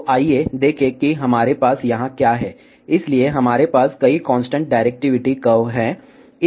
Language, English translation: Hindi, So, let us see what we have here, so we have several constant directivity curves